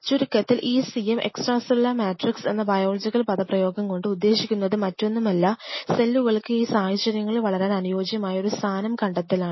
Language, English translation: Malayalam, So, in short this is called and biological jargon they call it ECM extra cellular matrix is nothing, but identification of that location these cells grows here under these conditions